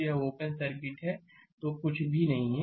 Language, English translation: Hindi, So, it is open circuit; so, nothing is there